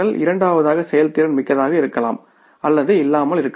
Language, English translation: Tamil, Second is performance may be effective, efficient both or neither